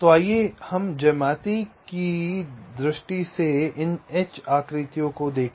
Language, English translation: Hindi, so let us look at this h shapes in terms of the geometry